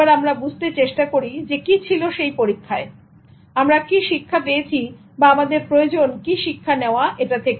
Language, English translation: Bengali, Let's try to understand what was the study and what lesson we need to take from the study